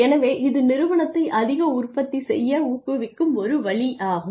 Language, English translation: Tamil, So, a way of incentivizing the organization for becoming more productive